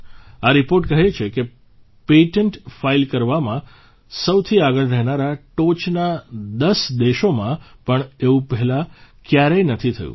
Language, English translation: Gujarati, This report shows that this has never happened earlier even in the top 10 countries that are at the forefront in filing patents